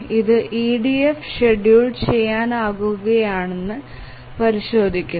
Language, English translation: Malayalam, Now we want to check whether this is EDF scheduleable